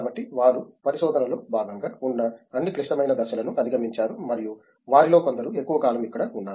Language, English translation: Telugu, So, they have gone through all those critical steps that are there as part of research and some of them have been here longer